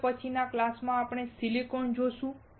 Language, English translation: Gujarati, In the next class we will see the Silicon